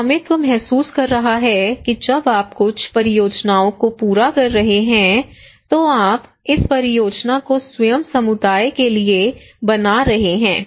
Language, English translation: Hindi, Ownership feeling that when you are achieving when you are finishing some projects, the project is made for the community themselves